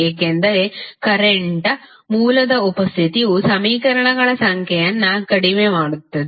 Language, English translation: Kannada, Because the presence of the current source reduces the number of equations